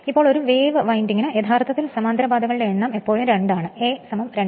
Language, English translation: Malayalam, Now, for a wave winding actually number of parallel path is always 2, A is equal to 2